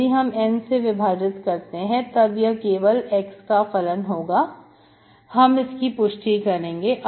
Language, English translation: Hindi, If I divide by N, it should be function of x alone, I will verify this, okay